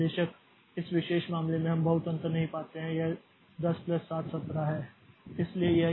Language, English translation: Hindi, Of course in this particular case we do not find much difference it is 10 plus 717